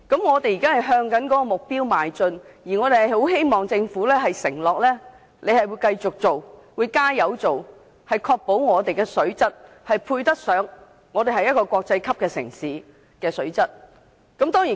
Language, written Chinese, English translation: Cantonese, 我們現時正朝這個目標邁進，希望政府承諾會繼續和致力落實相關工作，確保香港的水質達致國際級城市應有的水平。, We are now working towards this objective . We hope that the Government will pledge to continue its commitment to undertake the relevant work to ensure that Hong Kongs water quality reaches the level required of a world - class city